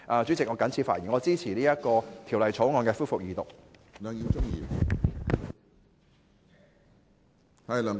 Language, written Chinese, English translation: Cantonese, 主席，我謹此陳辭，支持二讀《條例草案》。, With these remarks President I support the resumption of Second Reading of the Bill